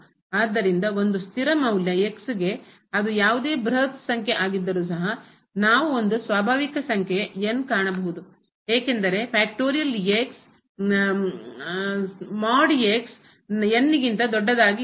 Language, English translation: Kannada, So, what we consider for a fixed value of , we can always whatever as could be very large number, but we can find a natural number such that the absolute value of this is greater than